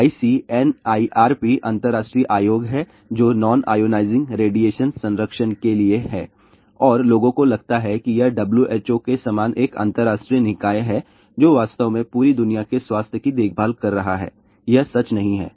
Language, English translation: Hindi, ICNIRP stands for International Commission for Non Ionizing Radiation Protection and people think that it must be an international body something similar to WHO which is actually speaking taking care of health of the entire world well that is not true